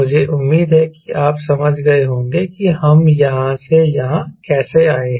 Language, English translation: Hindi, i hope you have understood how we have come from here to here